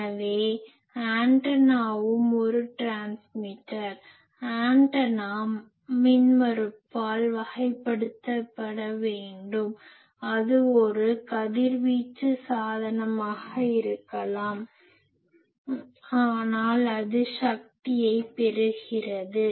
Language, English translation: Tamil, So, antenna also when a transmitter is looking at antenna it should be characterized by an impedance it may be a radiating device, but it is taking power